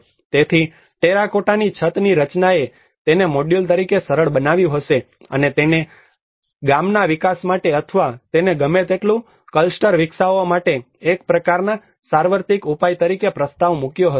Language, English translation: Gujarati, So as a terracotta roofing structure may have simplified this as a module and proposing it as a kind of universal solution to develop a village or to develop a cluster whatever it might